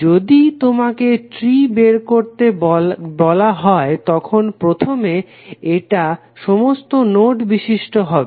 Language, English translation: Bengali, If you ask to find out the tree then first is that it will contain all nodes